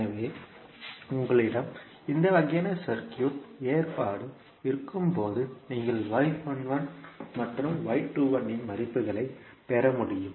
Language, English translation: Tamil, So, when you have this kind of circuit arrangement you will be able to get the values of y 11 and y 21